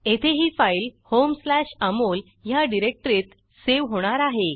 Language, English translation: Marathi, In my case, it will get saved in home/amol directory